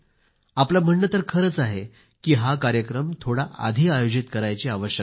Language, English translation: Marathi, And you are right, that this program needs to be scheduled a bit earlier